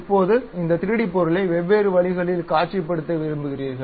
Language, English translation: Tamil, Now, you would like to visualize this 3D object in different ways